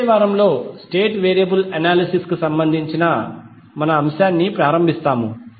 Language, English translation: Telugu, In next week we will start our topic related to state variable analysis